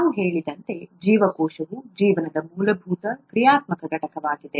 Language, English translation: Kannada, ” As we said, cell is the fundamental functional unit of life